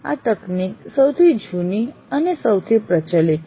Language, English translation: Gujarati, The technology is the oldest and most prevalent